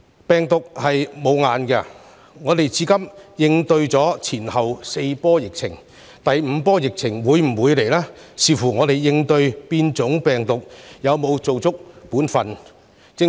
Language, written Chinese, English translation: Cantonese, 病毒無眼，香港至今已應對4波疫情，至於第五波疫情會否來臨，這視乎我們應對變種病毒有否做足本分。, The virus will not select its targets . Hong Kong has gone through four waves of the epidemic so far . The fifth wave will come or not depends on whether we have done enough to deal with the mutant strain